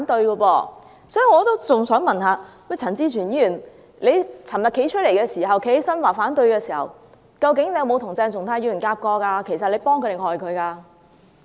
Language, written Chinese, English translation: Cantonese, 因此，我也想問陳志全議員昨天提出反對時，究竟有否與鄭松泰議員配合過，其實是幫他，還是害他？, Thus I would also like to ask Mr CHAN Chi - chuen whether he had coordinated with Dr CHENG Chung - tai before he raised his opposition yesterday . Was he in fact helping him or hurting him? . It was originally fine